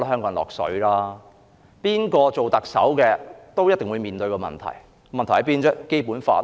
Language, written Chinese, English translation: Cantonese, 無論誰當特首，都會面對問題，問題就在《基本法》。, Anyway whoever becomes the Chief Executive will be confronted with the same issue stemmed from the Basic Law